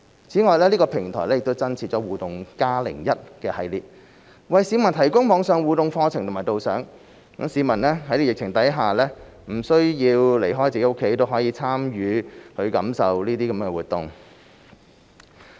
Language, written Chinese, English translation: Cantonese, 此外，這個平台亦增設"互動 +01" 系列，為市民提供網上互動課程和導賞，讓市民在疫情下不需要離開自己的家，也可參與和感受這些活動。, Furthermore the platform also features the vis - à - vis 01 series that provide the public with online interactive programmes and tours so that members of the public can participate in and experience such activities without having to leave their homes given the pandemic